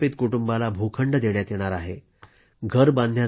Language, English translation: Marathi, Each displaced family will be provided a plot of land